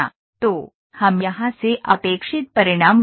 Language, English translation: Hindi, So, what are the results that we expected from here